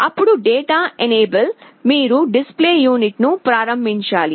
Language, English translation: Telugu, Then data enable, you have to enable the display unit